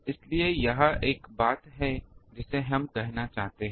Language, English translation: Hindi, So, this is one thing that we wanted to say